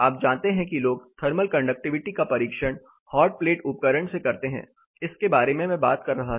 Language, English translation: Hindi, People conduct you know thermal conductivity test hotplate apparatus, I was talking about